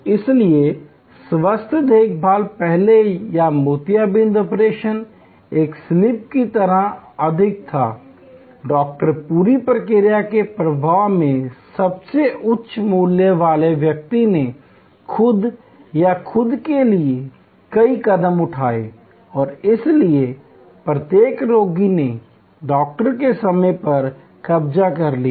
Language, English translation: Hindi, So, health care earlier or cataract operation was more like a craft, the Doctor, the most high value person in the whole process flow did number of steps himself or herself and therefore, each patient occupied a lot of time, the Doctor’s time